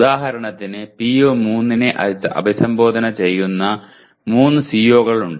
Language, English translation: Malayalam, For example there are 3 COs that address let us say PO3